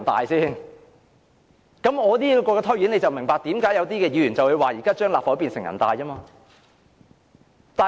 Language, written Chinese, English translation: Cantonese, 我的解釋可以讓大家明白為何有議員說現在立法會快變成人大。, My explanation will enable Members to understand why some Members claim that the Legislative Council will soon become the National Peoples Congress